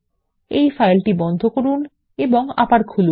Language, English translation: Bengali, Let us close and open this file